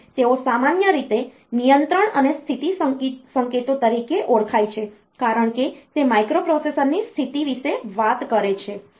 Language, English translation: Gujarati, And they are in general known as the control and status signals, because that talked about the status of the microprocessor